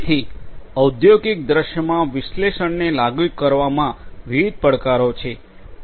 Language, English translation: Gujarati, So, there are different challenges in implementing analytics in an industrial scenario